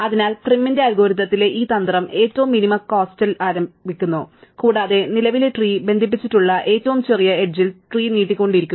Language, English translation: Malayalam, So, this strategy in Prim's algorithm starts with the minimum cost edge, and keep extending the tree with the smallest edge connected to the current tree